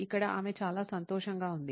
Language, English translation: Telugu, Here she is very happy